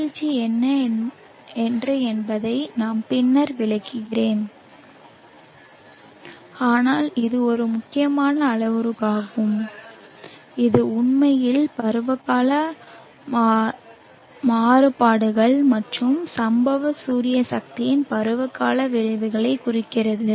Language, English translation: Tamil, I will explain later what declination is but this is an important parameter this actually represents the seasonal variations and the seasonal effects on the incident solar energy